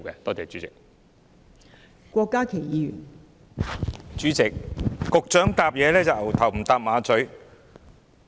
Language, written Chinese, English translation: Cantonese, 代理主席，局長的答覆可謂"牛頭不搭馬嘴"。, Deputy President it can be said that the Secretarys reply is totally irrelevant